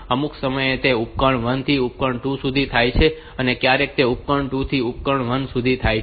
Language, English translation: Gujarati, So, at some point of time it is from device one to device two sometimes it is from device 2 to device 1